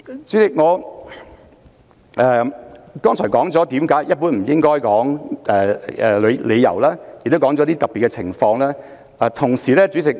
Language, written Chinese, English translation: Cantonese, 主席，我剛才已解釋了一般而言不應多說的理由，亦已提出了一些特別情況。, President I have already explained just now the general reasons for avoiding saying too much and have also elaborated on some exceptional cases